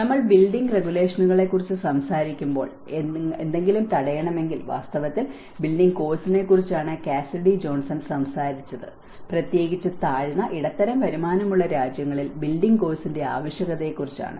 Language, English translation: Malayalam, Like when we talk about the building regulations, if you are to prevent something and in fact, Cassidy Johnson was talking about the building course, the need for the building course especially in the low and middle income group countries